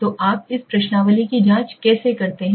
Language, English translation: Hindi, So how do you do this questionnaire checking